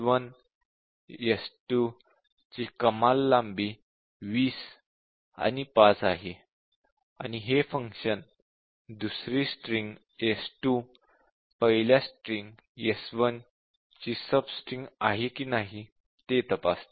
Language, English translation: Marathi, The maximum length of string can be 20 and 5 for these two parameters and then the function checks whether the second parameter is a sub string of the first parameter